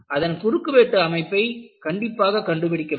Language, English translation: Tamil, And you essentially determine the cross section